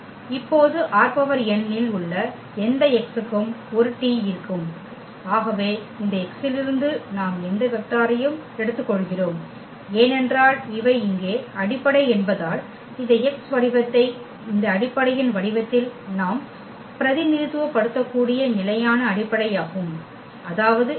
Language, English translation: Tamil, And this T is a for any x now in R n, so any vector we take from this x from R n what we can because these are the basis here these are the standard basis we can represent this x in the form of this basis; that means, this x can be represented as x 1 e 1